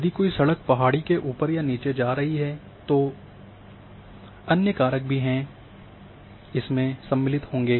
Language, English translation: Hindi, So, you know if a road is going towards the hill or coming down then other factors will also come in another thing